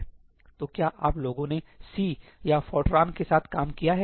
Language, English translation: Hindi, have you guys worked with C or Fortran